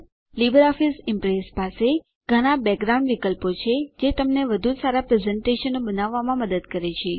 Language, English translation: Gujarati, LibreOffice Impress has many background options that help you create better presentations